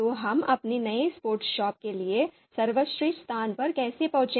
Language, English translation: Hindi, So how do we arrive at the best location for our new sports shop